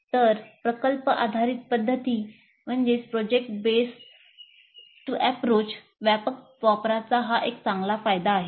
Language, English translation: Marathi, So this is a great benefit from widespread use of project based approach